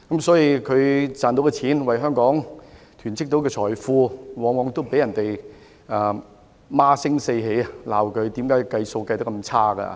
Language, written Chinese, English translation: Cantonese, 財政司司長為香港囤積財富，但卻往往被市民責罵他的估算做得差。, However while the Financial Secretary hoards wealth for Hong Kong he is scolded by the public all the time for poor estimates